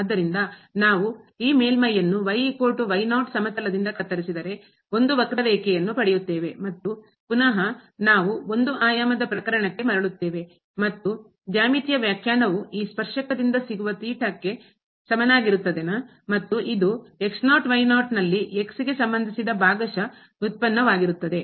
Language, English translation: Kannada, So, is equal to naught if we cut this plane over this surface or by this plane, then we will get a curve and then we have we are again back to in one dimensional case and the geometrical interpretation is same that the tangent of this theta is equal to the partial derivative of with respect to at this point naught naught